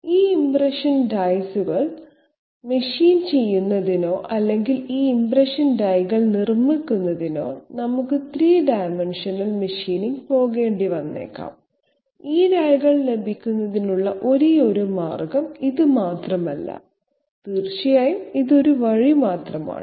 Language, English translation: Malayalam, And in order to machine or in order to manufacture these impression dies, we might have to go for 3 dimensional machining, it is not the only way of getting these dies but this is definitely one of the ways